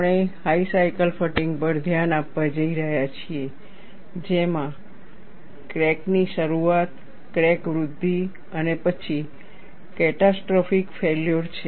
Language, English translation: Gujarati, We are going to pay attention on high cycle fatigue, which has a crack initiation, crack growth, and then finally catastrophic failure